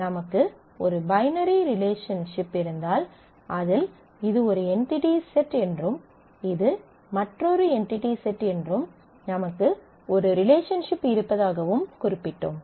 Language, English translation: Tamil, And we specified that if we have a binary relationship say this is one entity set and this is another entity set and we have a relationship